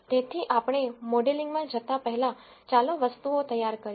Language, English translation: Gujarati, So, before we jump into modelling, let us get the things ready